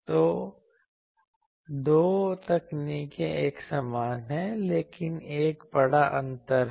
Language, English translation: Hindi, So, there are two techniques more or less similar, but there is a big difference